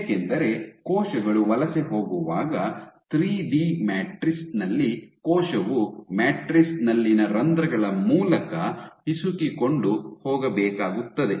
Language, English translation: Kannada, So, why because, in 3 D matrices when cells are migrating, the cell has to squeeze through the pores in the matrix